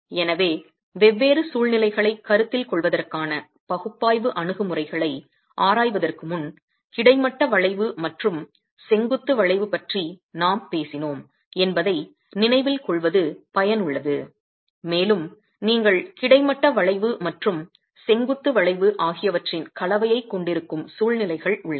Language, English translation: Tamil, So before we examine the analysis approaches to consider different situations it is useful to recollect that we talked of horizontal bending and vertical bending and you have situations where you have a combination of horizontal bending and vertical bending